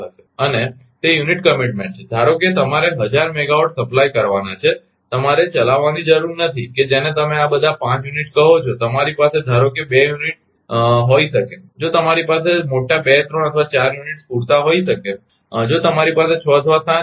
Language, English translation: Gujarati, And that is unit commitment suppose you are suppose to supply thousand megawatt, you need not run that your what you call ah all 5 units, you may you may have 2 suppose, if you have a large 2 3 or 4 units may be sufficient, if you have 6 or 7